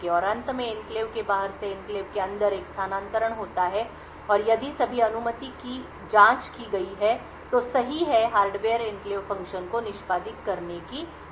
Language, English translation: Hindi, And finally, there is a transfer from outside the enclave to inside the enclave and if all permission have been check are correct the hardware will permit the enclave function to execute